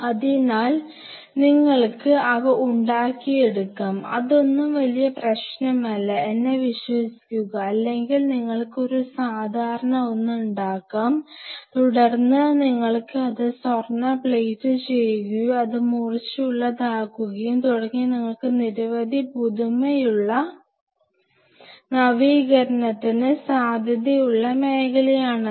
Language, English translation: Malayalam, So, you can get those things fabricated which is not a big deal trust me, or you can get a coarse one and then you can gold plate it and you know make it sharper, and several things you can do there a lot of zone for innovation tremendous zone for innovation what you can work through